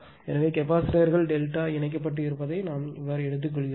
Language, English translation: Tamil, So, you we are taking the capacitors are delta connected